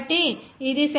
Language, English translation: Telugu, So, it will come as 0